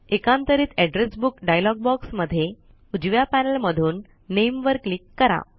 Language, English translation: Marathi, Alternately, in the Address Book dialog box, from the right panel, simply click on Name